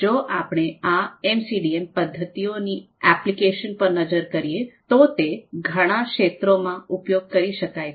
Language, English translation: Gujarati, And if we look at the applications of these MCDA methods, so they had been used, they have been applied in many fields